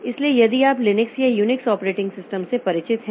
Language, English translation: Hindi, So we have got more complex like Unix operating system